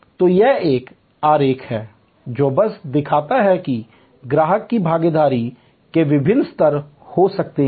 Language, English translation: Hindi, So, this is a diagram which simply shows that there can be different level of customer participation